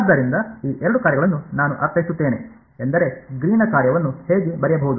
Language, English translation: Kannada, So, that is how these two functions I mean that is how the Green’s function can be written